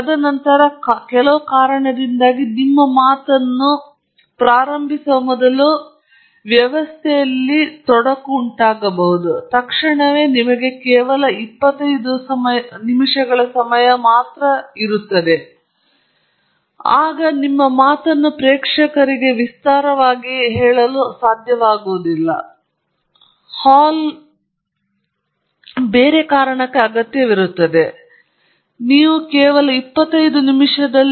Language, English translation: Kannada, And then, for some reason, there is some other aspects, may be there are technical glitches in the system before you get started with your talk, and suddenly your down to 25 minutes, and it turns out that your audience is unable to extend the closing time of the talk, the hall is required for something else, so you have only 25 minutes